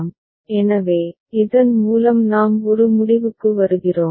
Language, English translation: Tamil, So, with this we come to the conclusion